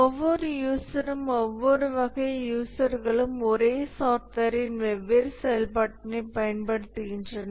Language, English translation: Tamil, So every user, every type of user use different functionalities of the same software